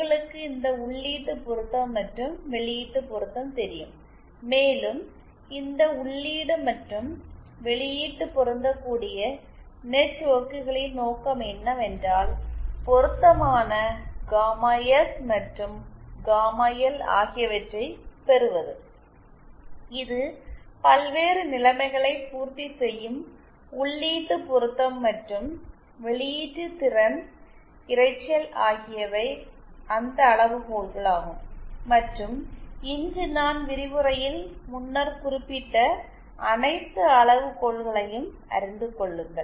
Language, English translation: Tamil, So this is my RL so this is more or less the design you know this input matching and output matching and what the purpose of this input and output matching networks is to obtain an appropriate gamma S and gamma L that will satisfy the conditions the various you know input matching and output power noise and all those criteria that I mentioned earlier earlier in the lecture today